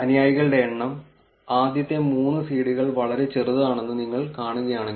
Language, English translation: Malayalam, The numbers of followers, if you see the first three seeds that are pretty small